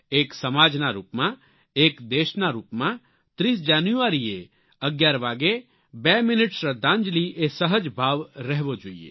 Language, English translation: Gujarati, As a society, as a nation, the 2 minute tribute of silence on 30th January at 11 am, should become our instinctive nature